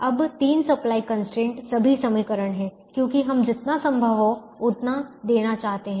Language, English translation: Hindi, now the three supply constraint are all equations because we want to give as much as we can